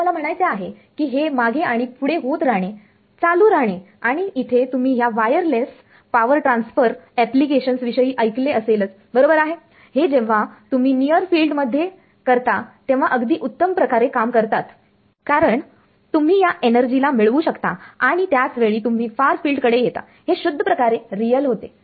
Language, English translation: Marathi, So, this I mean back and forth keeps happening and there are you heard of these wireless power transfer applications right those work best when you do it in the near field because you are able to access this energy by the time you come to the far field its becomes purely real